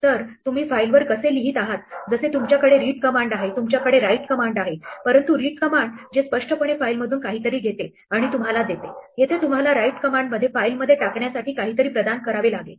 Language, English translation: Marathi, So, here is how you write to a file just like you have read a command you have a write command, but now unlike read which implicitly takes something from the file and gives to you, here you have to provide it something to put in the file